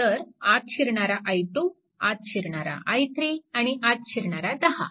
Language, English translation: Marathi, So, i 2 is entering i 3 is entering and 10 is also entering